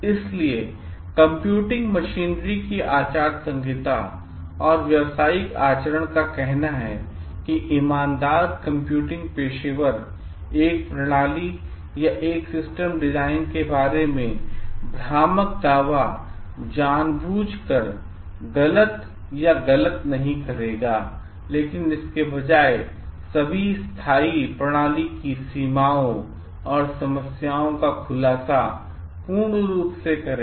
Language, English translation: Hindi, So, the Code of Ethics and Professional Conduct of the Association for Computing Machineries states the honest computing professional will not make deliberately false or deceptive claims about a system or a system design, but will instead provide full disclosure of all pertinent system limitations and problems